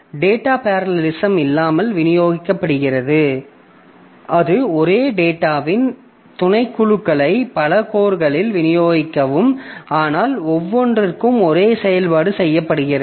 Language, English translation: Tamil, So, distributes, in case of data parallelism, so it distributes subsets of the same data across multiple course, but same operation is done on each